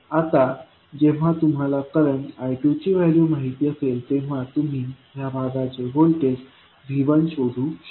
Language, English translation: Marathi, Now, when you know the value of current I2 you can find out the voltage V1 which is across this particular lag